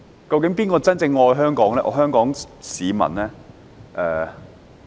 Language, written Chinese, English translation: Cantonese, 究竟誰人真正愛香港、愛香港市民？, Who truly loves Hong Kong and Hong Kong people?